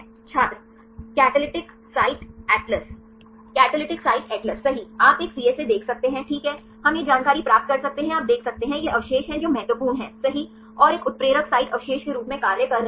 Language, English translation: Hindi, Catalytic Site Atlas Catalytic Site Atlas right you can see a CSA right we will get this information you can see, these are the residues right which are important and acting as a catalytic site residues